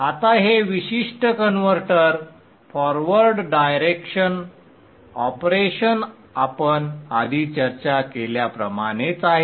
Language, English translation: Marathi, Now this particular converter, the forward direction operation is exactly same as what we had discussed before